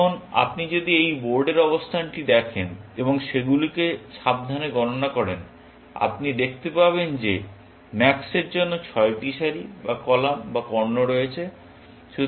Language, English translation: Bengali, Now, if you look at this board position and count them carefully, you will see that there are six rows or columns or diagonals available for max